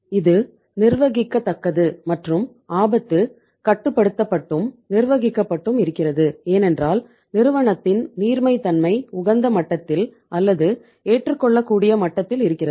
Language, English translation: Tamil, It is manageable and because risk is controlled manageable because the liquidity of the firm is at the optimum level or at the acceptable level